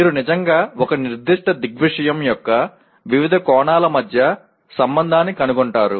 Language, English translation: Telugu, You are actually discovering the relationship between various facets of a particular phenomena